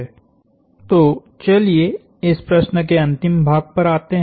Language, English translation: Hindi, So, let us come to the last part of this question